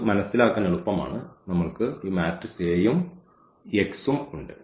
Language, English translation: Malayalam, So, this is easy to understand so, we have this matrix A and this x